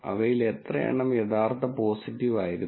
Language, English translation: Malayalam, How many of them were actually true positive